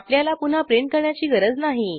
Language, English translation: Marathi, You dont have to print it again